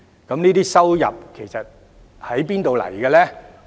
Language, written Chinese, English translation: Cantonese, 這些收入其實來自哪裏呢？, Where does such revenue come from exactly?